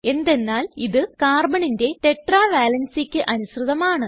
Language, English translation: Malayalam, This is because it satisfies Carbons tetra valency